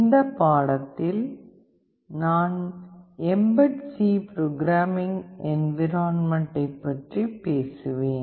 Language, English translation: Tamil, In this lecture I will be talking about mbed C Programming Environment